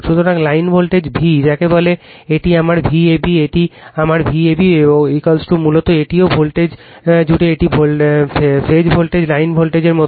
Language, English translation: Bengali, So, line voltage V what you call this is my V ab, this is my V ab is equal to basically this is also voltage across this is phase voltage same as the line voltage